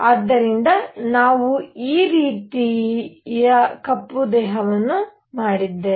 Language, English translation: Kannada, So, we made a black body like this